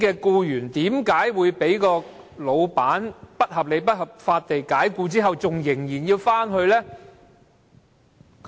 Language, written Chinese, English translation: Cantonese, 僱員被僱主不合理及不合法解僱後，為何仍然想復職呢？, Why would an employee want to be reinstated after being unreasonably and unlawfully dismissal by the employer?